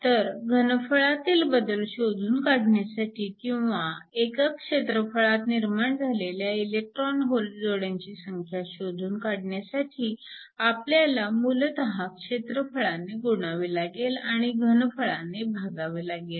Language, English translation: Marathi, So, to calculate the volume change or to calculate the number of the electron hole pairs that are generated per unit volume, you basically need to multiply by the area and also divide by the volume